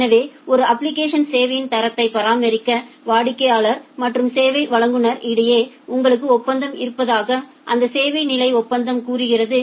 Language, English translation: Tamil, So, this service level agreement says that you have an agreement or a contract between the customer and the service provider to maintain the quality of service of an application